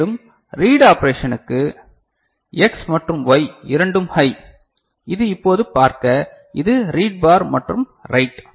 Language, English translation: Tamil, And for read operation right so, both X and Y are high alright and this now see, this is read bar and write ok